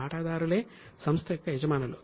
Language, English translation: Telugu, These are the owners of the company